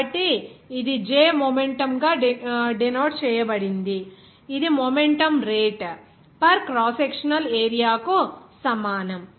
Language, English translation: Telugu, So, it will be a denoted by J momentum that will be equals to momentum rate per crosssectional area